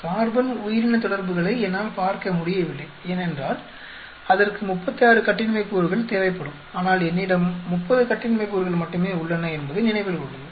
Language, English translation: Tamil, If I cannot look at say carbon organism interactions because, that will require thirty six degrees of freedom, I have only 30 degrees of freedom remember that